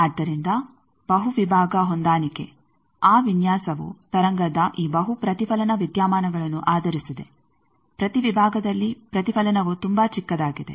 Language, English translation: Kannada, So, multi section matching that design is based on this multiple reflection phenomena of wave reflection at each section is very smaller